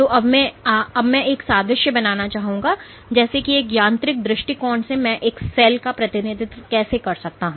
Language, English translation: Hindi, So, now, I would like to make an analogy as to if from a mechanical standpoint how do I represent a cell